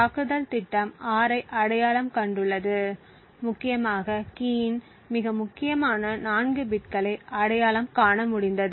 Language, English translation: Tamil, The attack program has identified 6 essentially has been able to identify the most significant 4 bits of the key